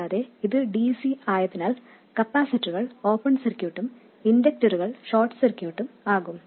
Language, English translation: Malayalam, And also because it is DC, capacitors are open circuited and inductors are short circuited